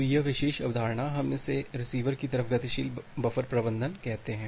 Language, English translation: Hindi, So, this particular concept, we call as the dynamic buffer management at the receiver side